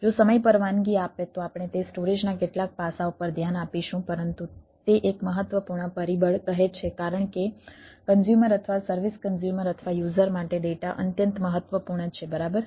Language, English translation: Gujarati, we will, if time permits, we will look at that, some of the storage aspects, but it it say, it say one of the important factor, because data is extremely important for the, for the consumer, or for the service consumer or the users, right